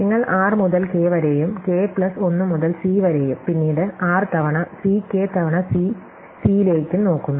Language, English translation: Malayalam, You look at r to k, k plus 1 to C and then r times C k times C C